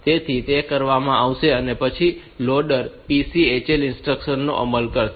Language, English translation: Gujarati, So, that will be done and after that the loader will execute a PCHL instruction